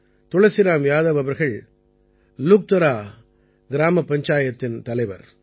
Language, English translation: Tamil, Tulsiram Yadav ji is the Pradhan of Luktara Gram Panchayat